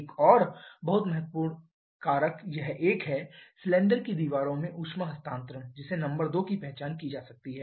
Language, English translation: Hindi, Another one very important factor is this one the heat transfer to the cylinder walls which can be identified the number 2